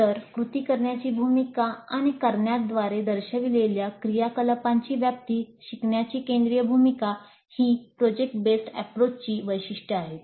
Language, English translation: Marathi, So the central role accorded to learning by doing and the scope of activities implied by doing, these are the distinguishing features of product based approach